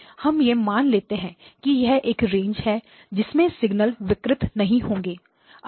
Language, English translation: Hindi, So let us assume that that is the range so that its signal does not get distorted